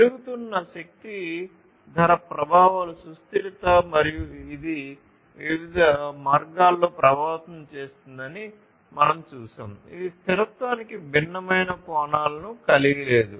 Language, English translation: Telugu, So, increasing energy price effects sustainability and we have seen that different ways it is affecting, it is not you know sustainability has different facets